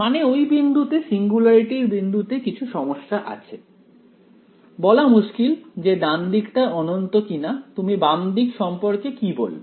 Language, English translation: Bengali, I mean at the point of the; at the point of the singularity there is a bit of a problems, hard to say if the right hand side is infinity what do you say about the left hand side right